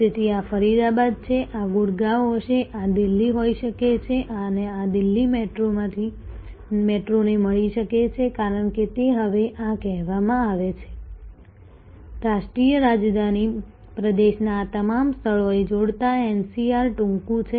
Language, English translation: Gujarati, So, this is say Faridabad this would be Gurgaon, this can be Delhi and this met Delhi metro as it is called this now, connecting all these places of the national capital region know as NCR is short